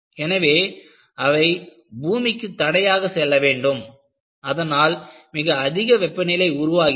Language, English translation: Tamil, So, they have to pass through the barrier to earth and very high temperatures are developed